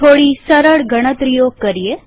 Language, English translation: Gujarati, Let us try some simple calculation